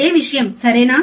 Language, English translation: Telugu, The same thing, right